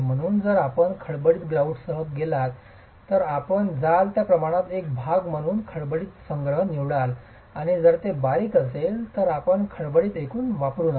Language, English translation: Marathi, So, if you go with a coarse grout, you will go with a, you will choose a coarse aggregate as a part of the proportioning and if it is a fine grout you don't use course aggregate